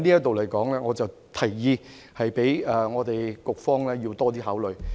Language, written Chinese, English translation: Cantonese, 在這方面，我提議局方要多作考慮。, I suggest the Policy Bureau to give more consideration in this aspect